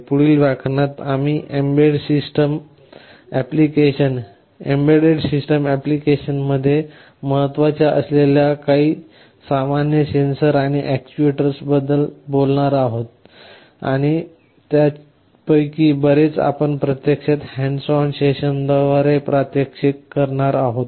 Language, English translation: Marathi, In the next lectures, we shall be talking about some of the common sensors and actuators that are very important in embedded system applications, and many of them we shall be actually demonstrating through the hands on sessions